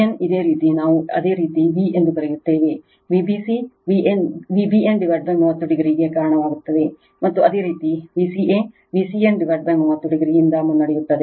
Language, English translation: Kannada, V b n your what we call your v your V b c leading to V b n by 30 degree; and similarly your V c a leading V c n by 30 degree right